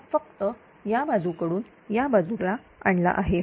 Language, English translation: Marathi, So, this one this one you bring to this side